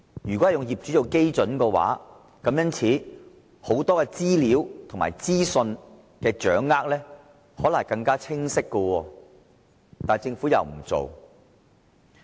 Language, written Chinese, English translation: Cantonese, 如果以業主作為單位，很多資料和資訊的掌握將會更為清晰，但政府卻沒有這樣做。, If owners are charged for rates we will be able to obtain more specific information but the Government has not done so